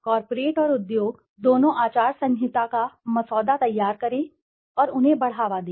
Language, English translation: Hindi, Draft and promote both corporate and industry codes of conduct